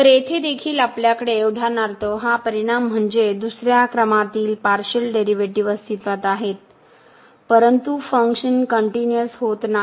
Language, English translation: Marathi, So, here also we have for example, this result that the second order partial derivatives exists, but the function is not continuous